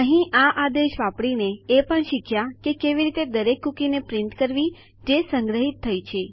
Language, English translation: Gujarati, Using this command here, we also learnt how to print out every cookie that we had stored